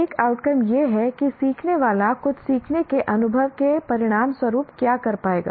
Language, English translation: Hindi, An outcome is what the learner will be able to do or perform as a result of some learning experience